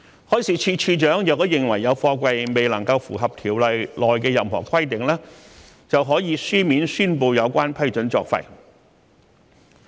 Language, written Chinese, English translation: Cantonese, 海事處處長若認為有貨櫃未能夠符合《條例》內的任何規定，就可以書面宣布有關批准作廢。, The Director of Marine could declare in writing that an approval is no longer valid if the container does not comply with any of the requirements of the Ordinance